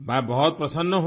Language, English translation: Hindi, I am very happy